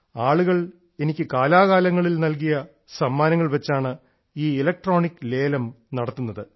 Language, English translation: Malayalam, This electronic auction pertains to gifts presented to me by people from time to time